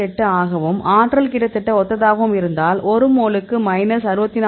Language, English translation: Tamil, 8 and the energy is almost similar that is minus 64